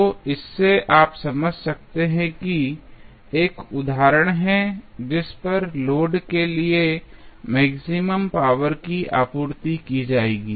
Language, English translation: Hindi, So, from this you can understand that there is 1 instance at which the maximum power would be supplied to the load